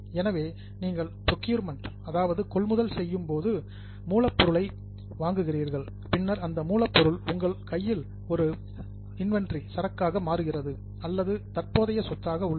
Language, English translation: Tamil, So, when you do procurement, you are purchasing raw material, then whatever raw material remains in your hand as an inventory or as a stock, that is one current asset